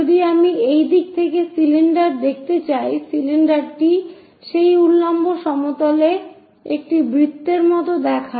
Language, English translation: Bengali, If i is from this direction would like to see the cylinder, the cylinder looks like a circle on that vertical plane